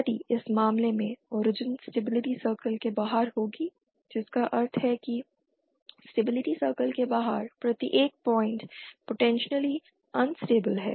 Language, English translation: Hindi, If the origin in this case will lie outside the stability circle that means every point outside the stability circle is potentially unstable